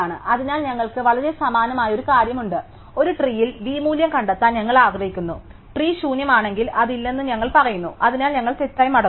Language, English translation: Malayalam, So, we have a very similar thing, so we want to find a value v in a tree, if the tree is empty of course, we say that is not there, so we return false